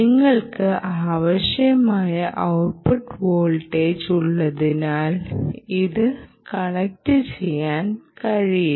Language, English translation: Malayalam, you cant be just connecting just because you have the required output voltage